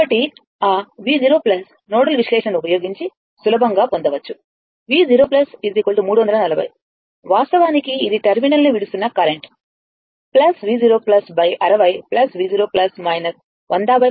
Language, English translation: Telugu, So, at that V 0 plus can easily we obtain using nodal analysis is a V 0 plus minus 340 that current is actually leaving the terminal plus V 0 plus upon 60 plus V 0 plus minus 100 by 16 is equal to 0